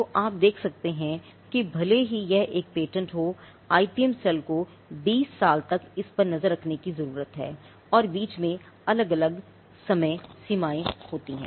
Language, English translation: Hindi, So, you can see that, even if it is one patent the IPM cell needs to keep track of it for 20 years and there are different deadlines that falls in between